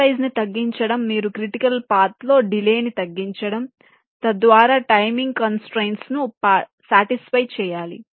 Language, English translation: Telugu, reducing cut size is, of course, yes, you have to minimize the delay in the critical paths, thereby satisfying the timing constraints